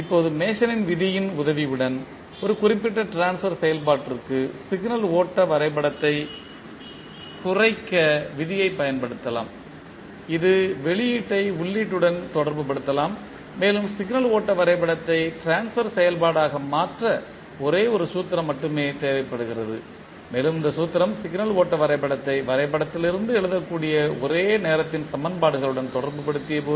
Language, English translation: Tamil, Now with the help of Mason’s rule we can utilize the rule reduce the signal flow graph to a particular transfer function which can relate output to input and this require only one single formula to convert signal flow graph into the transfer function and this formula was derived by SJ Mason when he related the signal flow graph to the simultaneous equations that can be written from the graph